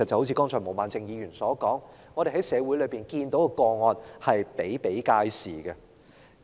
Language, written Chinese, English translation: Cantonese, 正如毛孟靜議員剛才所說，我們在社會上看到的個案比比皆是。, As stated by Ms Claudia MO just now we have seen many such cases in society